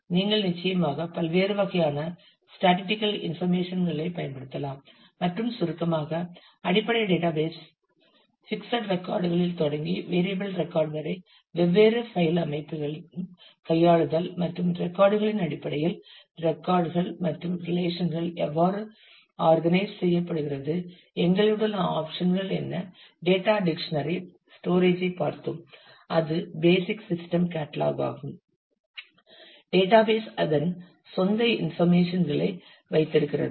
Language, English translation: Tamil, You can certainly use different kinds of statistical information and in summary; so on this we have talked about the basic organization of database files starting from the fixed record to variable record handling of the different file organization and try to take a look in terms of how records and relations are organized in terms of the in terms of the files and what are the options that we have and we took a look at the data dictionary storage the basic system catalogue, where database keeps its own information